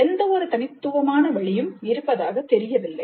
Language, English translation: Tamil, There does not seem to be any unique way